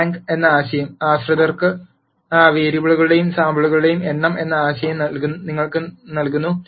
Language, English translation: Malayalam, The notion of rank, gives you the notion of number of in dependent variables or samples